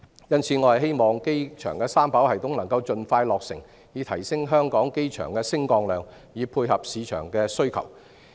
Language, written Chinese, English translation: Cantonese, 因此，我希望機場三跑系統能夠盡快落成，以提升香港機場的升降量，配合市場的需求。, Therefore I hope the three - runway system of the airport can be completed as soon as possible to increase the movement capacity of the Hong Kong airport to cater for the market demands